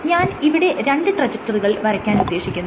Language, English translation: Malayalam, So, let me draw a trajectory